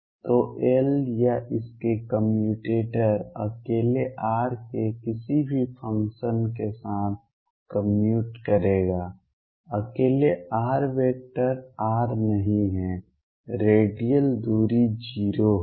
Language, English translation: Hindi, So, L would commute or its commutator with any function of r alone not r vector r alone the radial distance is going to be 0